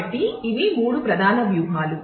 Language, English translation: Telugu, So, these are the three main strategies